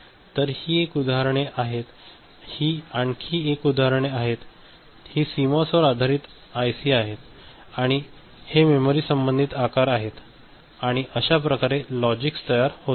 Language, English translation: Marathi, So, this is one such examples this is another example these are CMOS based IC and these are the corresponding size of the memory right and this is the way the logics are generated in those cases fine